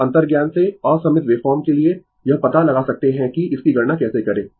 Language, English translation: Hindi, So, for unsymmetrical waveform from the intuition, you can make out that how to compute it right